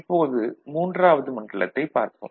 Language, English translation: Tamil, Now, we look at zone III, ok